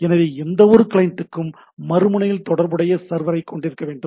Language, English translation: Tamil, So, any client should have a corresponding server at the other end